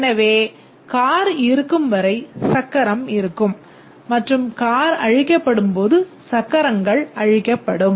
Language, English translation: Tamil, So, as long as the car exists, the wheel exists, and when the car is destroyed, the wheels get destroyed